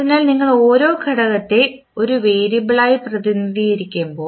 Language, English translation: Malayalam, So, when you represent the individual component as a variable